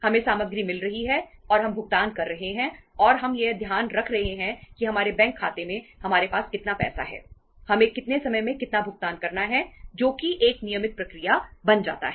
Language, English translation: Hindi, We are getting the material and we are making the payments and we are keeping in mind that how much money we have in say in our in our bank account how much payments we have to make over a period of time, that is a that becomes a routine process